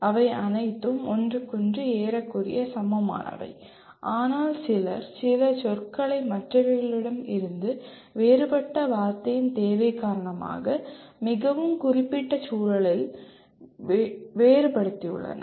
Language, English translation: Tamil, While all of them are approximately equal to each other, but some people have differentiated some words from the others to in a very very specific context for want of other word